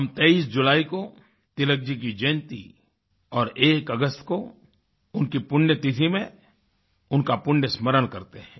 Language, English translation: Hindi, We remember and pay our homage to Tilak ji on his birth anniversary on 23rd July and his death anniversary on 1st August